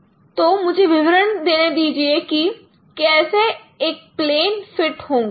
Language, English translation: Hindi, So let me explain that how this, you know, how a plane could be fitted